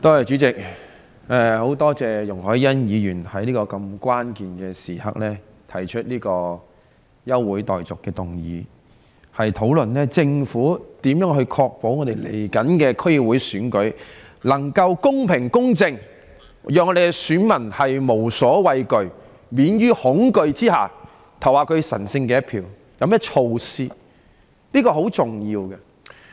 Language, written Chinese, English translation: Cantonese, 主席，我十分感謝容海恩議員在如此關鍵的時刻提出這項休會待續議案，讓本會有機會討論政府應如何確保臨近的區議會選舉能做到公平、公正，以便我們的選民可在免於恐懼的情況下投下神聖的一票。, President I am very grateful to Ms YUNG Hoi - yan for moving this adjournment motion at such a critical moment that allows the Council an opportunity to discuss how the Government can ensure the imminent District Council Election a fair and just one in order that our voters can cast their sacred votes free from fear